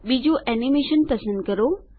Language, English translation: Gujarati, Select the second animation